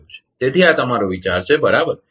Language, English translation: Gujarati, So, this is your idea right